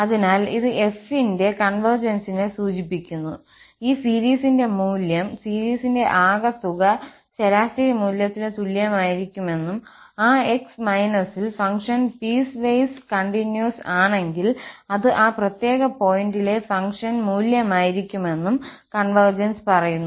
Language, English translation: Malayalam, So, it implies the convergence of f and the convergence says that the value of this series, the sum of the series will be equal to the average value, and if the function is continuous at that x, then it will be simply the functional value at that particular point x